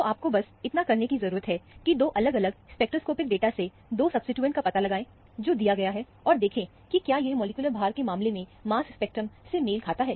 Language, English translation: Hindi, So, all you need to do is, find out the 2 substituents from the two different spectroscopic data that is given, and see, whether it matches the mass spectrum, in terms of the molecular weight